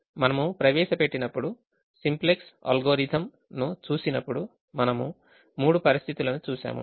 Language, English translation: Telugu, when we introduced we, when we looked at the simplex algorithm, we looked at three situations